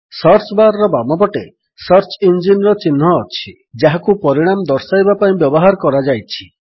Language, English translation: Odia, On the left side of the Search bar, the logo of the search engine which has been used to bring up the results is seen